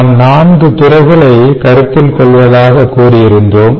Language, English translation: Tamil, we said that we will consider four